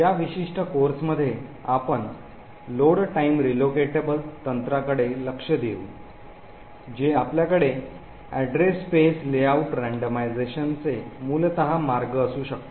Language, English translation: Marathi, In this particular course we will look at a Load Time Relocatable techniques which is essentially one of the ways we could actually have Address Space Layout randomization